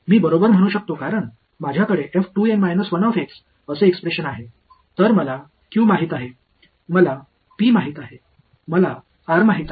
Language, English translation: Marathi, I can right because I have a expression for f 2 N minus 1 x so, I know q, I know P, I know r